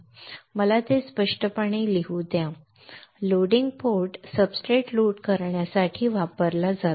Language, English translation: Marathi, Let me write it clearly loading port is used for loading substrates